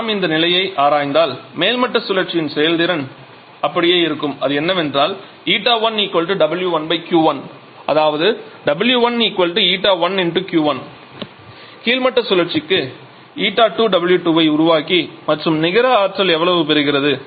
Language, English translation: Tamil, So if we analyze the situation then so efficiency for the topping cycle is it remains the same which is W 1 upon Q 1 that is W 1 = Eta 1 Q 1 Eta 2 for the bottoming cycle it is producing W 2 and how much is the net amount of energy it is receiving